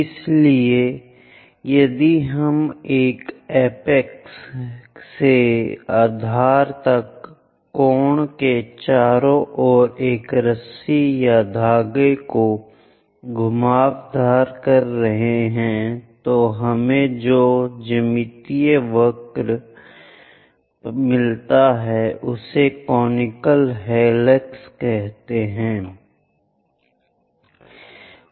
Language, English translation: Hindi, So, if we are winding a rope or thread around a cone sorting all the way from apex to base, the geometric curve we get is called conical helix